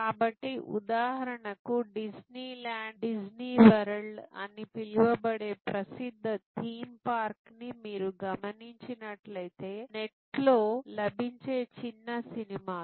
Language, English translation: Telugu, So, for example, famous theme parts like the so called Disney land, Disney world, if you see there, the short movies which are available on the net